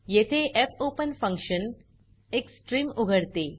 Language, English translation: Marathi, Here, the fopen function opens a stream